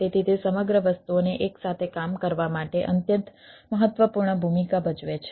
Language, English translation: Gujarati, so it plays extremely important role for keeping the whole things working together